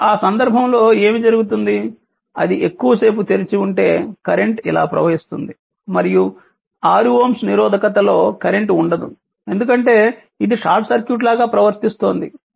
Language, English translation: Telugu, So, in that case what will happen that if it is open for a long time, the current will flow like this and there will be no current in the 6 ohm resistance because ah it because it behaves like a short circuit